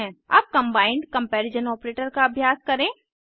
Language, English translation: Hindi, Now lets try the combined comparision operator